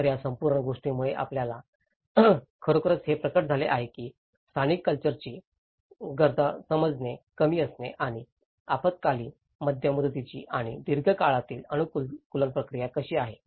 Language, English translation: Marathi, So, this whole thing has actually reveals us that the lack of understanding of the local cultural needs and how the short term, medium term and the long run adaptation process